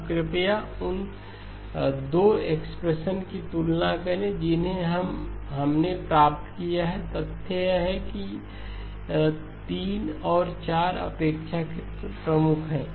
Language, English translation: Hindi, Now please compare the 2 expressions that we have obtained given the fact that 3 and 4 are relatively prime